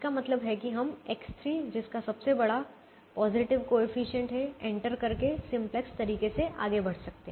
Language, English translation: Hindi, it means we can proceed from the simplex way by entering x three, which has the largest positive coefficient